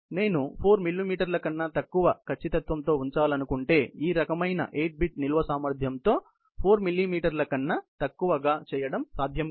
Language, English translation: Telugu, If I wanted to position at an accuracy of less than 4 millimeters; with this kind of a 8 bits storage capacity, this is not possible in doing the less than 2 millimeters or less than 4 millimeters position